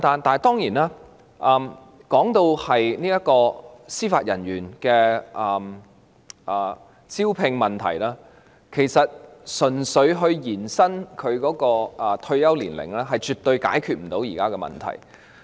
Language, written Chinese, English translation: Cantonese, 當然，談到司法人員的招聘問題，純粹延展退休年齡是絕對無法解決目前的問題的。, Certainly when it comes to the recruitment of Judicial Officers it is absolutely impossible to resolve the problems we currently face merely by extending the retirement ages